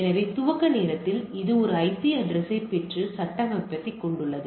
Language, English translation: Tamil, So, during the boot time it gets the IP address and the configuration and start configuring